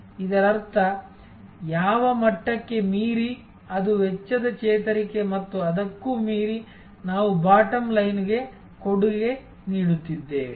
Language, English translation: Kannada, That means, the level beyond which up to which it is cost recovery and beyond which we are contributing to the bottom line